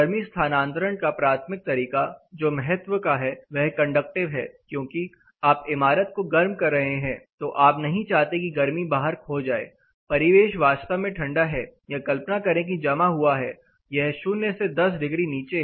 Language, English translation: Hindi, The primary mode of heat transfer which is of importance is the heat you know conductive because you are heating the building you do not want the heat to be lost outside; ambient is really cold or imagine the outside is frozen; it is at minus 10 degree